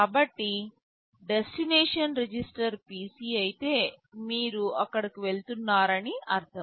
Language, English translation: Telugu, So, if the destination register is PC it means you are jumping there